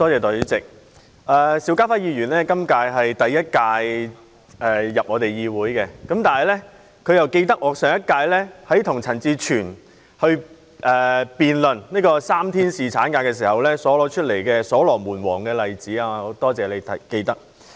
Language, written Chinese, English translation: Cantonese, 代理主席，邵家輝議員在今屆立法會才首次進入議會，但卻記得我在上屆的會議與陳志全議員辯論3天侍產假議題時提及所羅門王的例子。, Deputy Chairman although Mr SHIU Ka - fai only joined the Legislative Council in this term he is able to recall the example of King Solomon that I mentioned last term when debating with Mr CHAN Chi - chuen over the three - day paternity leave at a meeting